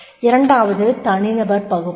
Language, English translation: Tamil, Second is person analysis